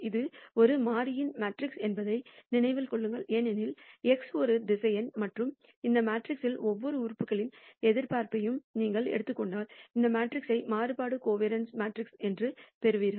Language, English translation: Tamil, Remember this is a matrix of variables because x is a vector and if you take the expectation of each of these elements of this matrix you will get this matrix called the variance covariance matrix